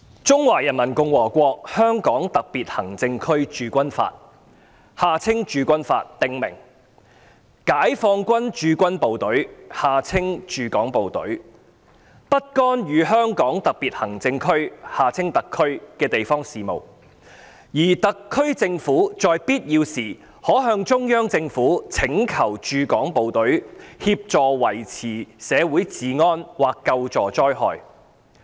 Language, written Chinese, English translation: Cantonese, 《中華人民共和國香港特別行政區駐軍法》訂明，解放軍駐港部隊不干預香港特別行政區的地方事務，而特區政府在必要時可向中央政府請求駐港部隊協助維持社會治安或救助災害。, The Law of the Peoples Republic of China on the Garrisoning of the Hong Kong Special Administrative Region stipulates that the Peoples Liberation Army Hong Kong Garrison shall not interfere in the local affairs of the Hong Kong Special Administrative Region SAR and that the SAR Government may when necessary ask the Central Government for assistance from the HK Garrison in the maintenance of public order or in disaster relief